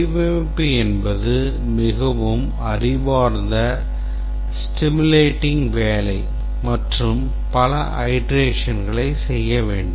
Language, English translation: Tamil, Design is a very intellectually stimulating work and need to do several iterations